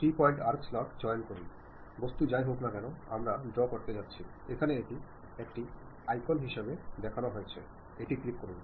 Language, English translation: Bengali, Pick three point arc slot, the object whatever the thing we are going to draw is shown here as icon, click that one